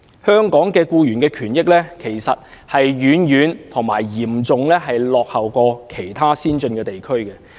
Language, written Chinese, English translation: Cantonese, 香港僱員的權益，其實已遠遠嚴重落後於其他先進地區。, Hong Kong is actually lagging far behind other advanced regions in respect of employee rights and interests